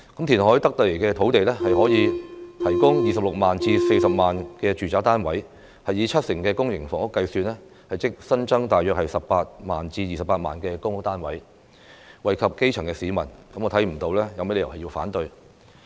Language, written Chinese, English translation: Cantonese, 填海得來的土地，可以提供 260,000 至 400,000 個住宅單位，以七成公營房屋計算，即新增大約 180,000 至 280,000 個公屋單位，惠及基層市民，我看不到有甚麼理由要反對？, The reclaimed land can provide 260 000 to 400 000 residential units with 70 % being public housing . That means 180 000 to 280 000 additional public housing units which will benefit the grass roots . I do not see any reasons for opposing the proposal